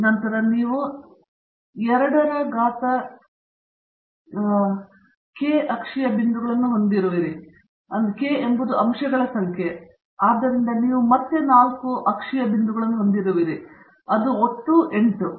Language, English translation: Kannada, Then, you have 2 k axial points where, k is the number of factors, so you have again 4 axial points that makes it the total of 8